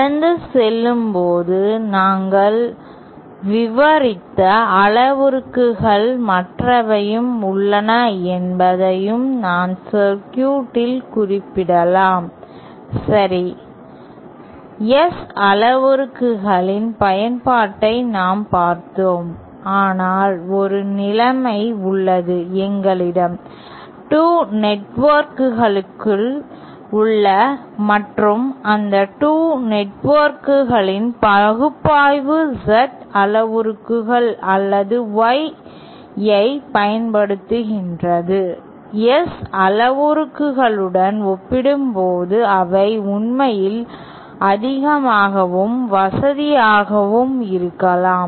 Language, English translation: Tamil, And in passing, I might also refer that there are others that parameters that we described for the circuit, okay, we have seen the application of the S parameters but is there a situation where we have 2 networks and analysis of those 2 networks using Z parameters or Y parameters might actually be more, more convenient as compared to the S parameters themselves